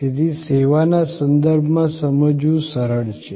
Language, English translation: Gujarati, So, it is easy to understand in a service context